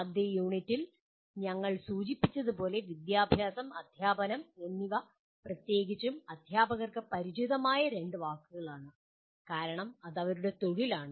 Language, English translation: Malayalam, As we mentioned in the first unit, “education” and “teaching” are 2 familiar words to especially teachers because that is their profession